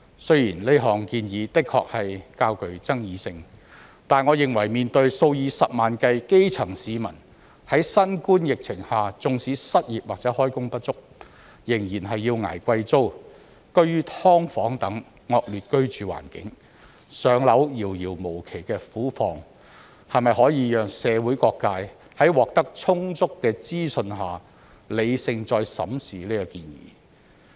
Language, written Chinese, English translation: Cantonese, 雖然這項建議的確較具爭議性，但我認為面對數以十萬計基層市民在新冠疫情下縱使失業或開工不足，仍然要捱貴租、居於"劏房"等惡劣居住環境、"上樓"遙遙無期的苦況，是否可以讓社會各界在獲得充足的資訊下，理性再審視這建議？, This proposal is indeed controversial but considering the predicament of hundreds of thousands of grass - roots people who have become unemployed or underemployed under the novel coronavirus epidemic but still have to pay high rent live in harsh living conditions such as subdivided units and do not have the slightest idea when they can be allocated a PRH unit can the authorities facilitate people from all walks of life to rationally reconsider this proposal with sufficient information?